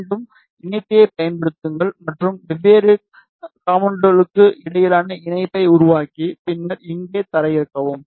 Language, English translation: Tamil, Again use connector and make the connection between different components and then put ground here